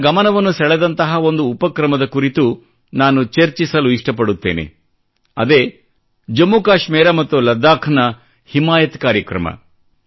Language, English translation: Kannada, I would like to discuss one such initiative that has caught my attention and that is the 'Himayat Programme'of Jammu Kashmir and Ladakh